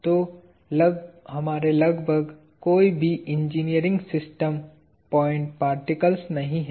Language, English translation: Hindi, So, almost none of our engineering systems are point particles